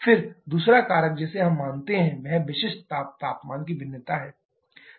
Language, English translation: Hindi, Then the second factor that we consider is the variation of specific heat temperature